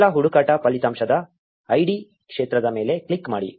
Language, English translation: Kannada, Click on the id field of the first search result